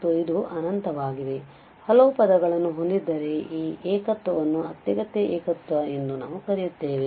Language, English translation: Kannada, And if it has infinitely many terms then we call that this singularity is an essential singularity